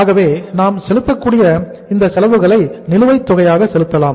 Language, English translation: Tamil, So cash manufacturing expenses which we can pay in arrears